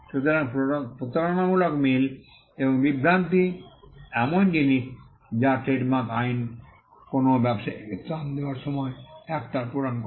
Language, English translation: Bengali, So, deceptive similarity and confusion are things that trademark law fill factor in while granting a relief to a trader